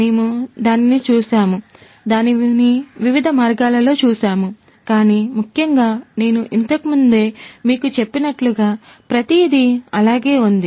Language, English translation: Telugu, We have looked at it, relooked at it in different different ways, but essentially as I told you earlier everything remains the same